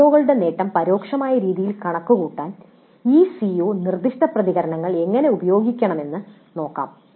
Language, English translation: Malayalam, Then let us see how we can use this CO specific responses to compute the attainment of the Cs in an indirect fashion